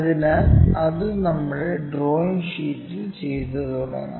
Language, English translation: Malayalam, So, let us begin that on our drawing sheet